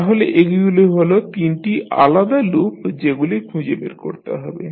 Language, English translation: Bengali, So, these will be the three individual loops which you will find